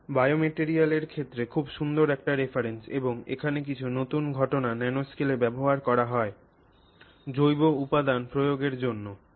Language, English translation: Bengali, This is a very nice reference in the field of you know biomaterials and you know using some new phenomenon in the nanoscale for biomaterial applications